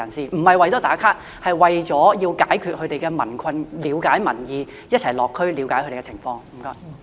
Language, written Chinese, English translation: Cantonese, 這並不是為了"打卡"，而是要解決民困，了解民意，一起落區了解他們的情況。, It is not for checking in on social media but for solving the problems of the public and understanding their opinion; visiting the districts together is for understanding the situation of the public